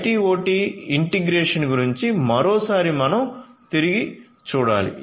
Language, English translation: Telugu, So, IT OT integration once again we have to relook at